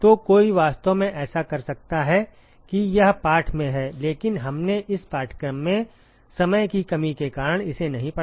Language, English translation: Hindi, So, one could actually do that it is there in the text, but we did not go over it in this course for want of time